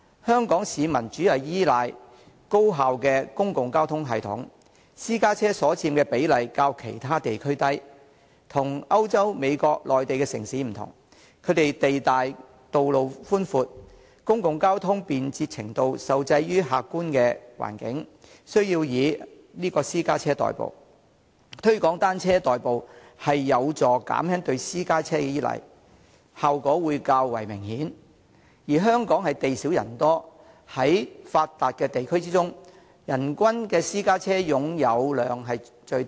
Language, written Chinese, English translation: Cantonese, 香港市民主要依賴高效的公共交通系統，私家車所佔比例較其他地區為低，與歐洲、美國和內地城市不同，這些地方地大，道路寬闊，公共交通便捷程度受制於客觀環境，需要以私家車代步，推廣以單車代步有助減輕對私家車的依賴，效果會較為明顯；而香港地少人多，在發達地區中，其人均私家車擁有量是最低的。, The percentage taken up by private cars is lower than that in other regions unlike the European American and Mainland cities which are vast in area with spacious roads . As the degree of convenience of public transport is constrained by objective circumstances in those places the people there need to commute by private cars . The promotion of commuting by bicycles can help abate their reliance on private cars and the effects will be more obvious